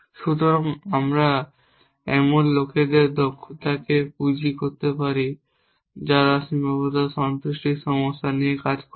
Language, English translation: Bengali, So, we can capitalize upon the expertise of people who have worked on constraint satisfaction problems and use their solutions directly